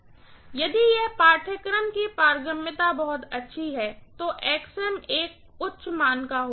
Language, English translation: Hindi, So if the permeability of the course is pretty good, Xm will be a very high value